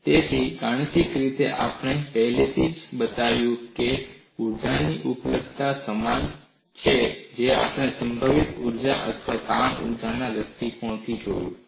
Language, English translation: Gujarati, So, mathematically, we have already shown, the energy availability is same we have looked at that from the point of view a potential energy or strain energy